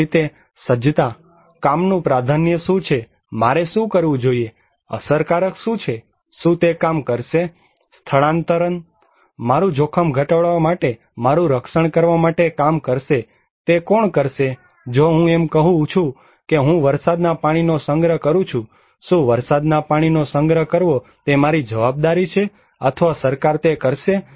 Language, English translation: Gujarati, Similarly, preparedness; what is priority of work, what should I do, what is effective, will it work, evacuation will work to protect myself to reduce my risk, who will do it, if I am saying that okay I will put rainwater harvesting, is it my responsibility to put rainwater harvesting or the government will do it